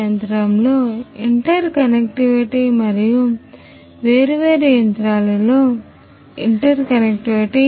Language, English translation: Telugu, Interconnectivity within the machine and interconnectivity across the different machines